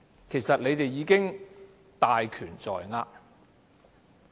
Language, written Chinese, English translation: Cantonese, 其實，你們已經大權在握。, Actually you people already have all the power in your hands